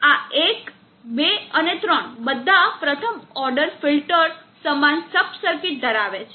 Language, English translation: Gujarati, These one two and three all first order filters have the same sub circuit